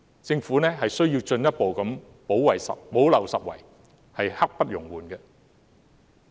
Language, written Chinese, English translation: Cantonese, 政府必須進一步補漏拾遺，刻不容緩。, The Government must further help those who have been missed out without delay